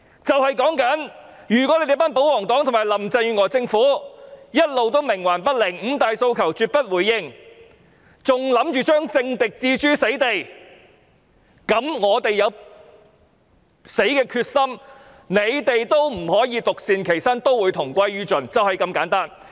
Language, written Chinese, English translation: Cantonese, 就是說，如果保皇黨和林鄭月娥政府一直冥頑不靈，絕不回應五大訴求，還想把政敵置諸死地，那麼我們有死的決心，但他們也不能獨善其身，要同歸於盡，就是這麼簡單。, That is to say if the royalists and the Government under Carrie LAM not just remain stubbornly and adamantly unresponsive to the Five Demands but also want to put their political rivals to death then we have the determination to die but they have to perish together instead of staying unscathed . It is that simple